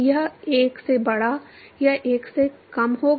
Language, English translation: Hindi, It will be greater than 1 or less than 1